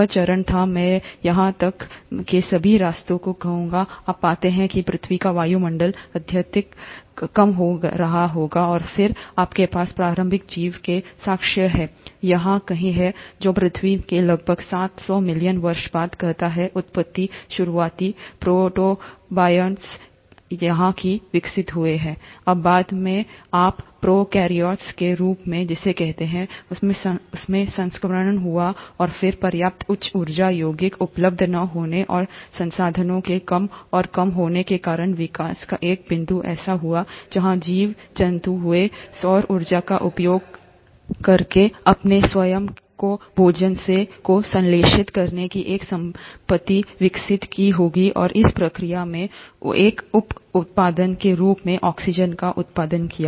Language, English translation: Hindi, This was the phase, I would say all the way up to here, you find that the earth’s atmosphere must have been highly reducing, and then, you have evidences of early life, somewhere here, which says about seven hundred million years after the earth’s origin, the earliest protobionts must have evolved somewhere here, later transitioned into what you call as the prokaryotes and then due to lack of sufficient high energy compounds available and the resources becoming lesser and lesser, a point in evolution would have happened where the organisms would have developed a property of synthesizing their own food, using solar energy and in the process, went on generating oxygen as a by product